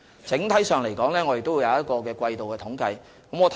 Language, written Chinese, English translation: Cantonese, 整體上，當局也會發表季度統計。, On the whole quarterly figures are also published